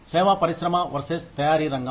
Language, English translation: Telugu, Service industry versus the manufacturing sector